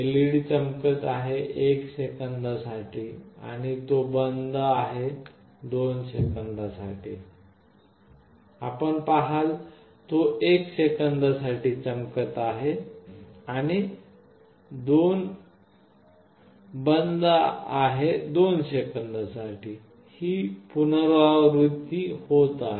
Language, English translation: Marathi, The LED is glowing for 1 second and it is off for 2 second, you see it is glowing for 1 second and it is off for 2 second and this is repeating